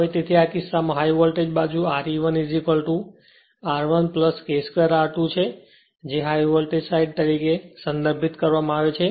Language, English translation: Gujarati, Now, so in this case, so preferred to high voltage side your Re 1 is equal Re 1 is equal to R 1 plus K square R 2 it is referred to high voltage side